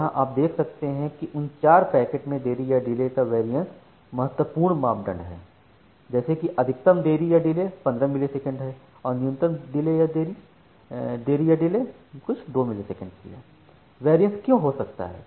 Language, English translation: Hindi, So, what you can see from here that the variance of delay among those four packets is significant like it the maximum delay is something like 15 millisecond and the minimum delay is something like 2 millisecond and, why there can be variance